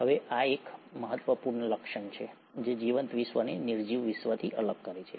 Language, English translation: Gujarati, Now this is one critical feature which sets the living world separate from the non living world